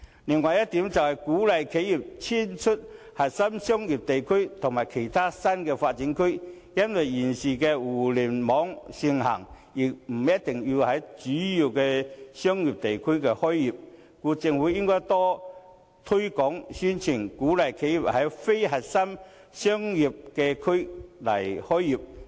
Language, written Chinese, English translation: Cantonese, 另一點，是鼓勵企業遷出核心商業區到其他新發展區去，現時互聯網盛行，企業不一定要在主要商業區開業，故此政府應多推廣宣傳，提供稅務優惠，鼓勵企業在非核心商業區開業。, The other strategy is to encourage enterprises to move from core business districts to other new development areas . Nowadays given the popularity of the Internet enterprises need not operate in prime business districts the Government should thus make more publicity efforts and offer tax concessions so as to encourage enterprises to operate in non - core business districts